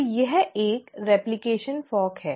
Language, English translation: Hindi, So this is a replication fork